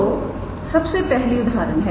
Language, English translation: Hindi, So, the first one is example